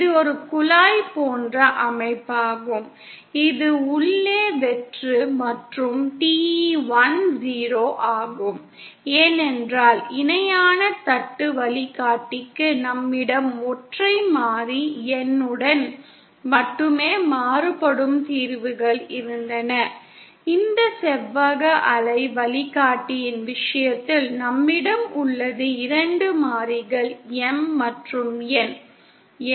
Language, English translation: Tamil, It is a pipe like structure which is hollow inside and the dominant mode for this is TE10 that is because whereas for the parallel plate guide we had solutions that varied only with the single variable N, in the case of this rectangular waveguide, we have two variables M and N